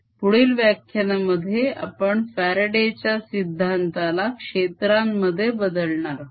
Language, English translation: Marathi, in the next lecture we will be turning this whole faradays law into in terms of fields